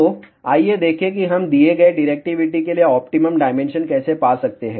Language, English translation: Hindi, So, let us see how we can find the optimum dimension for given directivity